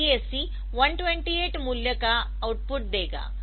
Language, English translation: Hindi, So, DAC will be outputting a 128 value